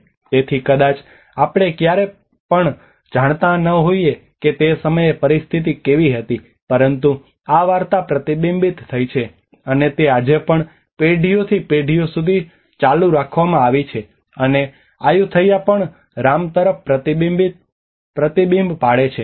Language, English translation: Gujarati, So maybe we never know how was the situation at that time but the story has been reflected and has been continued for generations and generations even today, and Ayutthaya also reflects back to Rama